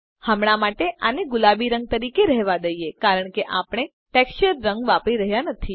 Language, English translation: Gujarati, For now, lets leave it as pink because we are not using the texture color